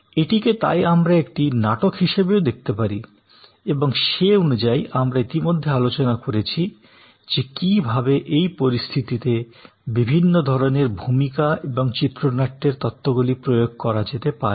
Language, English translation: Bengali, So, it can also we seen therefore as a drama and accordingly we have already discussed that how the different types of role and script theories can be applied